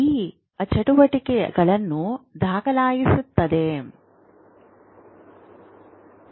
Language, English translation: Kannada, So this activity is being recorded